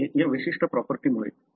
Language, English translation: Marathi, It is because of this particular property